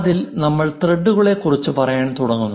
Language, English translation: Malayalam, On which we start saying the threads